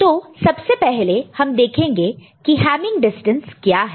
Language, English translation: Hindi, So, first we look at what is hamming distance